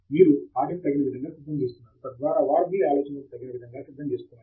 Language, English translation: Telugu, You are preparing them appropriately so that they are directed into your line of thought